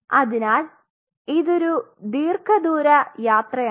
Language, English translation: Malayalam, So, it is kind of a long haul journey